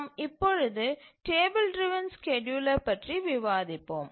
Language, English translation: Tamil, And now let's look at the table driven scheduler